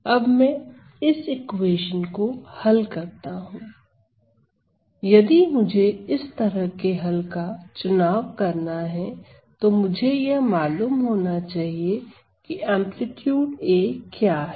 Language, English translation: Hindi, So, seek solutions of this form and for that type of solutions I would like to know what is this A, this amplitude A